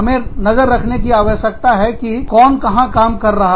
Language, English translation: Hindi, We need to keep track of, who is working, where